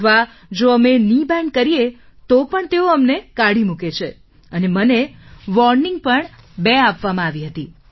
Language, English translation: Gujarati, Or even if we bend our knees, they expel us and I was even given a warning twice